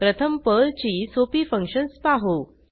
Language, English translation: Marathi, We will first see some simple Perl functions